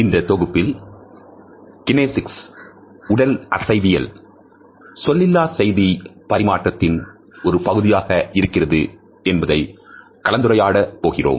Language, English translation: Tamil, In this module, we would discuss Kinesics is a part of nonverbal aspects of communication